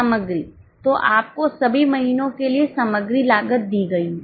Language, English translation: Hindi, So, you have been given material cost for all the months